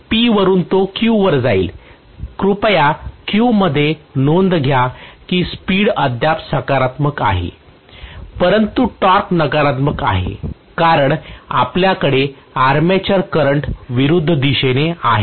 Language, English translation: Marathi, From P it will shift over to Q, please note in Q the speed is still positive, but the torque is negative because you are having the armature current in the opposite direction